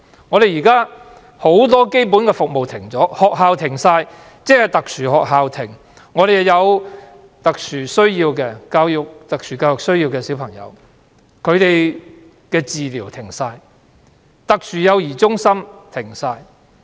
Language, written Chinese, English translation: Cantonese, 香港現時很多基本服務已經停止，學校停課、特殊學校停課，特殊幼兒中心停止運作，那些有特殊教育需要的小孩的治療也完全停止。, A lot of basic services in Hong Kong have come to a halt . Schools and special schools have suspended classes special child care centres have ceased operation and treatments for children with special education needs have also stopped completely